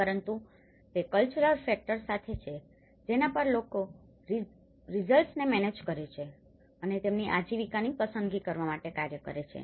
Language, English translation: Gujarati, But it is with the cultural factors which people manage the results and make their livelihood choices to act upon